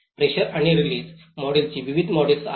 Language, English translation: Marathi, There are various models of the pressure and release model